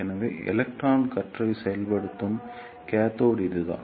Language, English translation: Tamil, So, this is the cathode from where the electron beam is injected